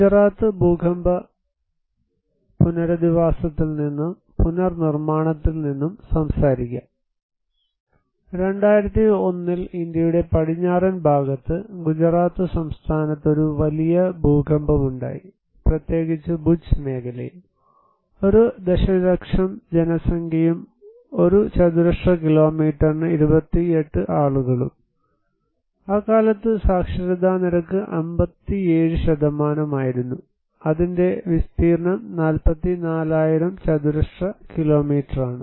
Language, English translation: Malayalam, I will talk from Gujarat earthquake rehabilitation and reconstruction, in 2001, there was a big earthquake in the western part of India in Gujarat state particularly in Bhuj region which is a population of 1 million and 28 persons per square kilometer, literacy rate at that time was 57% and it has an area of 44,000 square kilometers